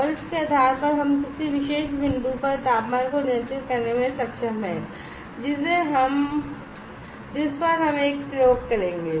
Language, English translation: Hindi, And depending on that we are able to control the temperature at particular at a particular point at which we will perform a experiment